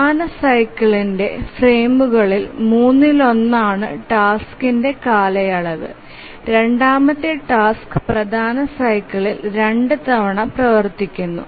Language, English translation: Malayalam, So the period of the task is one third of the frames of the major cycle and the second task runs two times during the major cycle